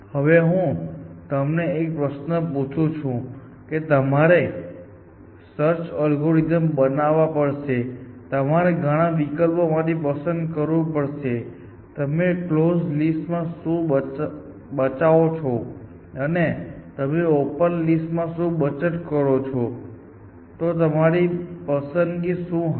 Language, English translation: Gujarati, Now, so let me now ask a question has to, if you were designing on a search algorithm and you are add to look at different options of whether you can save on the close list or whether you can save on the open list, what would be your choice